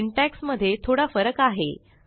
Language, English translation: Marathi, There are a few differences in the syntax